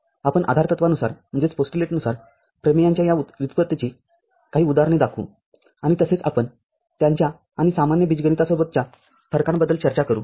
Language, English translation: Marathi, We shall show some examples of these derivations of theorems from the postulates and also, we shall discuss its difference with ordinary algebra